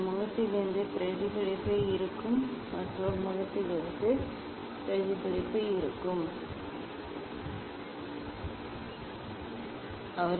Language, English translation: Tamil, We should do we should just look there will be reflection from this face and there will be reflection from the other face ok